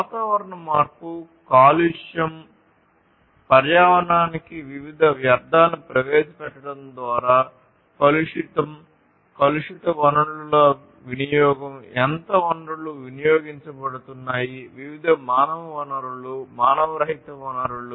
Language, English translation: Telugu, Issues of climate change, contamination – contamination of through the introduction of different wastes to the environment, contamination resource consumption, how much resources are consumed, resources of all kinds different you know human resources, non human resources